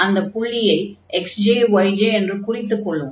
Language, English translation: Tamil, So, we have this point like x j and y j, and then f x j, y j